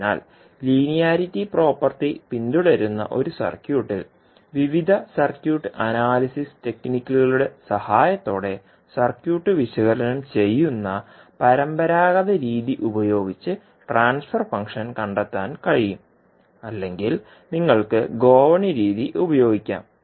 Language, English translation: Malayalam, So, the circuit which follows the linearity property that is a circuit can be used to find out the transfer function using a either the conventional method where you analyze the circuit with the help of various circuit analysis technique or you can use the ladder method